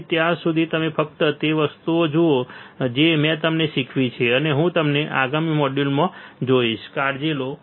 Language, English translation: Gujarati, So, till then you just look at the things that I have taught you, and I will see you in the next module take care, bye